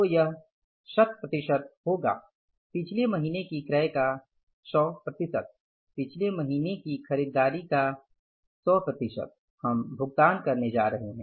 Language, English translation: Hindi, So in the month of January, how much we are going to pay for 100% of previous months, previous months purchases